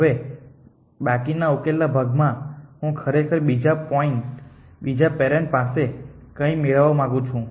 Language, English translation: Gujarati, Now, remaining the part solution I really would like to get something from the other parents